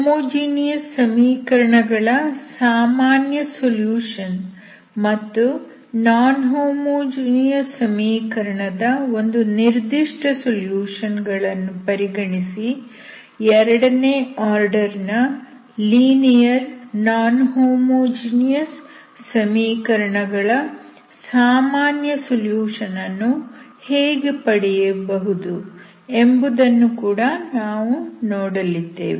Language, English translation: Kannada, We will also see how to find the general solution of non homogeneous second order linear equation by considering the general solution of the homogeneous equation and a particular solution of non homogeneous equation